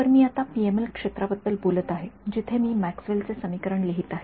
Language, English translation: Marathi, So, now I am talking about the PML region where I am going to write this Maxwell’s equation